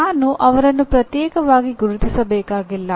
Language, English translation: Kannada, I do not have to separately identify them